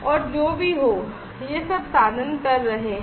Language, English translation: Hindi, And whatever this all this instruments are doing